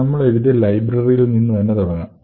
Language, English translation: Malayalam, Let us start with this particular library that we have written